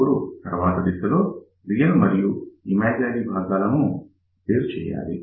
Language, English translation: Telugu, Now, the next step would be is to separate real part and imaginary part